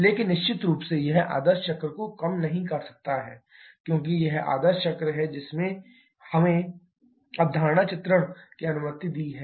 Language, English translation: Hindi, But of course, that cannot undermine the ideal cycle, because it is ideal cycle only which allowed us to conceptualization diagram